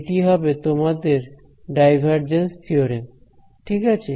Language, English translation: Bengali, So, this is your divergence theorem ok